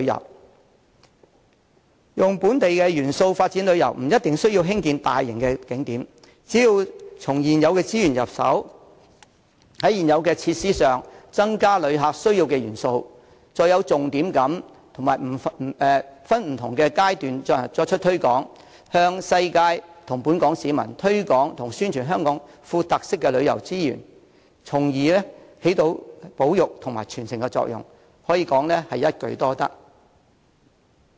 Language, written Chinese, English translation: Cantonese, 利用本地元素發展旅遊，不一定需要興建大型景點，只要從現有資源入手，在現有設施加入旅客需要的元素，再有重點地及分不同階段作出推廣，向世界及本港市民推廣和宣傳香港富有特色的旅遊資源，從而起保育和傳承的作用，一定可收一舉多得之效。, The development of tourism with local elements does not necessarily involve the provision of large attractions . We can just start by using the resources at hand and adding into the existing facilities the elements needed to satisfy visitors and then followed by a focused and phased publicity programme to promote and publicize these distinctive tourist resources of Hong Kong to visitors from all over the world and local people thereby conserving and transmitting such resources and bringing multiple benefits to the industry